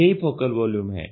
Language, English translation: Hindi, So, what is a focal volume